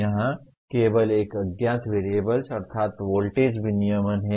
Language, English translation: Hindi, Here there is only one unknown variable namely voltage regulation